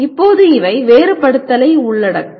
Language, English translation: Tamil, And now these will include differentiate